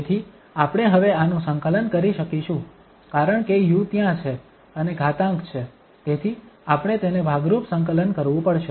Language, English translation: Gujarati, So, this we can now because the u is there and the exponential is there, so we have to integrate this by parts